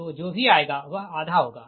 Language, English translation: Hindi, so whatever will come, it will be half